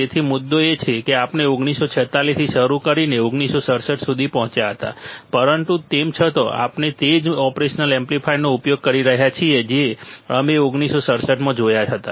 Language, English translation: Gujarati, So, the point is that we started from 1946 we reached to 1967, but still we are using the same operational amplifier you see guys 1967 to present all right